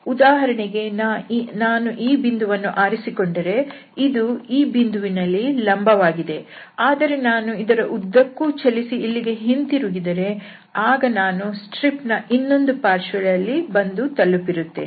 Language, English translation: Kannada, So, for instance here if I pick this point and then this will be kind of normal at this point, but if I go along with this and then come back then I will be on the other side of this stripe